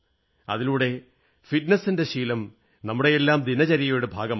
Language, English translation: Malayalam, This will inculcate the habit of fitness in our daily routine